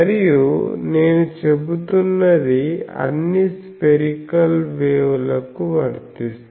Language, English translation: Telugu, And what I am saying is true for all spherical waves